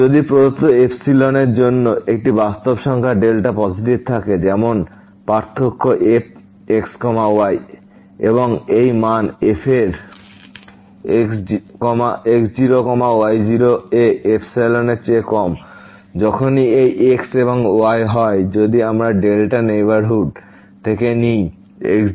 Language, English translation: Bengali, If for a given epsilon there exist a real number delta positive; such that this difference between and this value of at less than epsilon whenever these and ’s if we take from the delta neighborhood of naught naught point